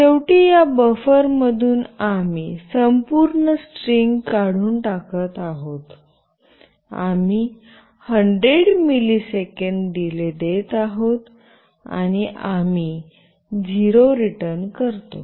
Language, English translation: Marathi, And finally, from this buffer we are removing the entire string, we are giving a 100 milliseconds delay, and we return 0